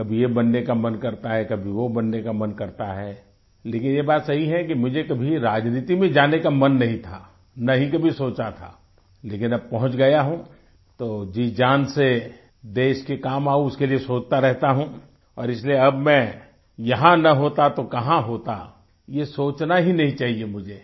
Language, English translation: Hindi, Sometimes one wants to become this, sometimes one wants to become that, but it is true that I never had the desire to go into politics, nor ever thought about it, but now that I have reached here,I keep thinking howI can work for the welfare of the country with all my heart, and the mere thought that 'Where would I have been if I hadn't been here' should never enter my thought